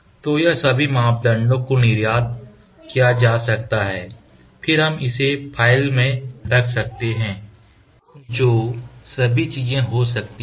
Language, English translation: Hindi, So, this all parameters can be exported then we can save it to the file all those things can happen